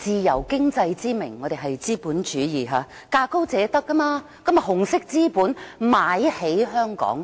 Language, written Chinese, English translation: Cantonese, 香港奉行資本主義，價高者得，紅色資本便以"自由經濟"之名買起香港。, Given that Hong Kong is a capitalist economy where the highest bidder always wins red capital can thus buy up Hong Kong in the name of free economy